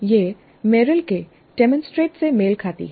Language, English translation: Hindi, This corresponds to the demonstrate of Merrill